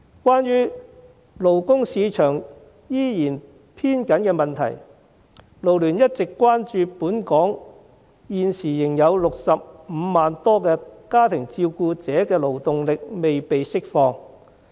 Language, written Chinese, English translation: Cantonese, 關於勞工市場依然偏緊的問題，勞聯一直關注本港現時仍有65萬多家庭照顧者的勞動力未被釋放。, Regarding the problem of a persistently tight labour market FLU has noticed that some 650 000 family carers in Hong Kong have yet to be released to join the labour market